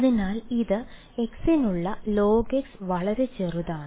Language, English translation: Malayalam, So, it is the of the form log x for x very small